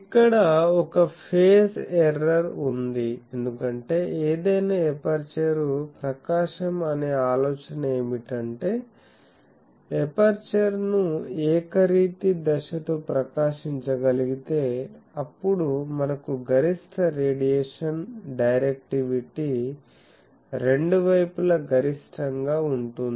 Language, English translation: Telugu, So, there is a phase error here, because the idea of any aperture illumination is that, if we can at illuminate the aperture with an uniform phase, then we get the maximum radiation directivity is maximum at the both side point